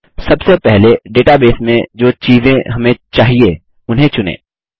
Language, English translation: Hindi, First, lets select the items which we require in the database